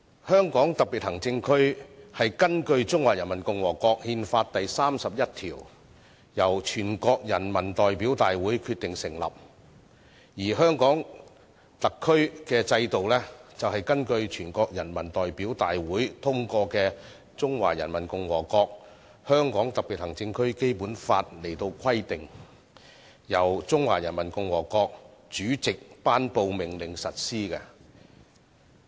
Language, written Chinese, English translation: Cantonese, 香港特別行政區是根據《中華人民共和國憲法》第三十一條，由全國人民代表大會成立，而香港特區的制度是根據全國人大通過的《中華人民共和國香港特別行政區基本法》來規定，由中華人民共和國主席頒布命令實施的。, The HKSAR was established by the National Peoples Congress NPC in accordance with Article 31 of the Constitution of the Peoples Republic of China and the systems of HKSAR are prescribed by the Basic Law of the Hong Kong Special Administrative Region of the Peoples Republic of China adopted by NPC and promulgated for implementation by a decree of the President of the Peoples Republic of China